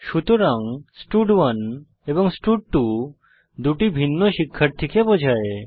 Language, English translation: Bengali, That is, stud1 and stud2 are referring to two different students